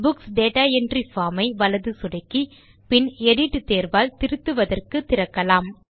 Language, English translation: Tamil, And open the Books Data Entry form for modifying, by right clicking on it and then choosing edit